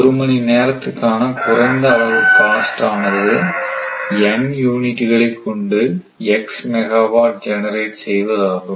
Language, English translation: Tamil, The minimum cost in rupees per hour of generating x megawatt by N units right